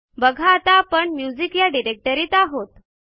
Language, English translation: Marathi, See, we are in the music directory now